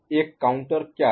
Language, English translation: Hindi, What is a counter